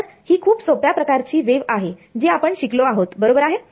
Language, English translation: Marathi, So, this is the simplest kind of wave that we have studied right